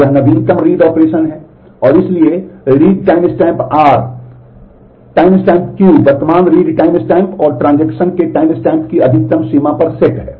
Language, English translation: Hindi, So, this becomes the latest read operation and therefore, the read timestamp R timestamp Q is set to the maximum of the current read timestamp and the timestamp of the transaction